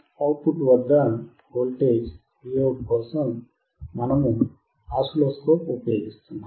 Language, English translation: Telugu, For voltage at output Vout we are using oscilloscope